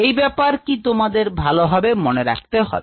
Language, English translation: Bengali, this is something that you need to remember very clearly